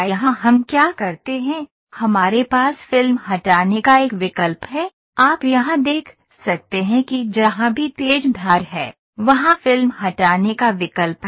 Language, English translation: Hindi, Here what we do is, we have a option of filleting, you can see here wherever there is a sharp edge, there is an option of filleting